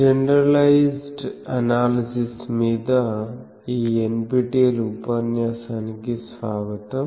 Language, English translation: Telugu, Welcome to this NPTEL lecture on generalized analysis